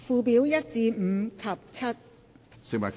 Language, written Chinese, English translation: Cantonese, 附表1至5及7。, Schedules 1 to 5 and 7